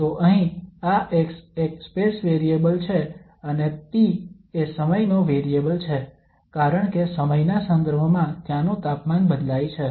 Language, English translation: Gujarati, So here this x is a space variable and the t is the time variable because with respect to time the temperature there varies